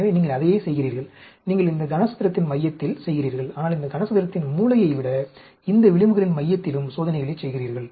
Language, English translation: Tamil, So, you do the same thing, you do at the center of this cube, but you also do experiments at the center of these edges, rather than corner of these cube